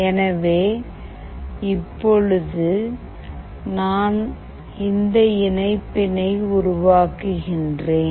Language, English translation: Tamil, So now, I will be doing the connection